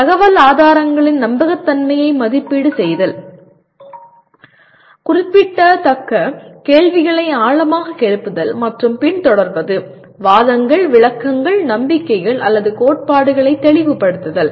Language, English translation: Tamil, Evaluating the credibility of sources of information; questioning deeply raising and pursuing root or significant questions; clarifying arguments, interpretations, beliefs or theories